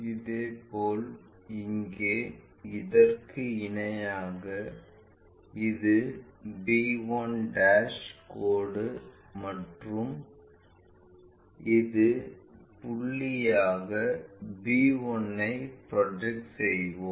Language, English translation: Tamil, Similarly, parallel to that here this is our b 1' line and this is point by point we will project it b 1